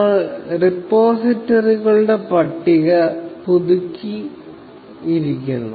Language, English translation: Malayalam, Now, we just updated the list of repositories